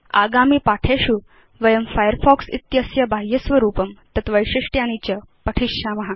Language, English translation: Sanskrit, In future tutorials, we will learn more about the Firefox interface and various other features